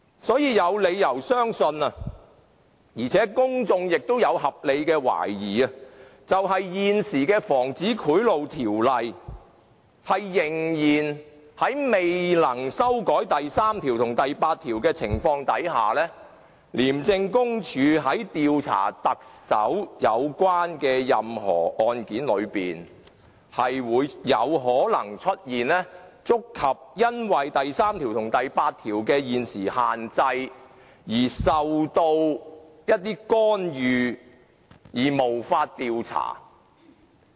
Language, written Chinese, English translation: Cantonese, 所以，我們有理由相信而公眾亦有合理懷疑，在未能修改現時的《防止賄賂條例》第3及第8條的情況之下，廉署在調查牽涉特首的任何案件時，有可能因為觸及現時第3及第8條的限制，以致受到一些干預而無法調查。, For that reason we have reasons to believe and the public can reasonably suspect that if sections 3 and 8 of the Prevention of Bribery Ordinance are not amended in cases where the Chief Executive is involved ICAC may well face intervention and fail to carry out any investigation due to the restrictions under sections 3 and 8